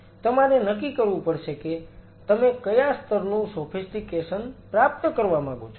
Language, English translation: Gujarati, You have to decide what level of sophistication you wish to achieve, what does that mean